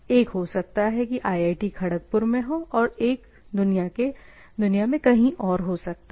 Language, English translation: Hindi, One may be here IIT Kharagpur; one may be somewhere else in the world